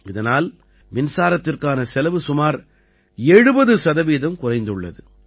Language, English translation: Tamil, Due to this, their expenditure on electricity has reduced by about 70 percent